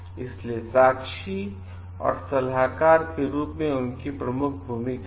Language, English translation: Hindi, So, they have a major role to play as witnesses and advisers